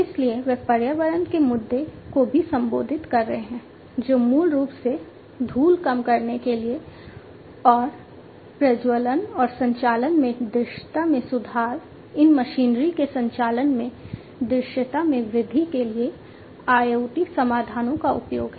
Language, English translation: Hindi, So, they are also into they are also addressing the issue of environment, which will basically, which is basically the use of IoT solutions for reduced dust and ignition, and improving the visibility in the operations, increasing the visibility in the operations of these machinery